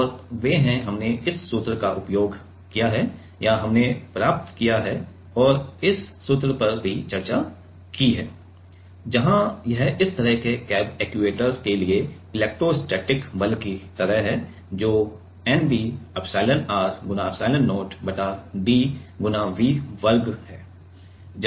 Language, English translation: Hindi, And they are we have used this formula or we have derived and also discuss this formula where it is like the electrostatic force for this kind of camb actuator was given by nb epsilon r epsilon not divided by d × V square